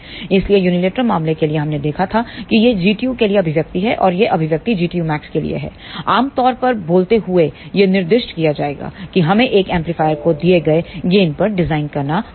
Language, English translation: Hindi, So, for unilateral case we had seen that, this is the expression for G tu and this is the expression for G tu max, generally speaking it will be specified that we have to design an amplifier for a given gain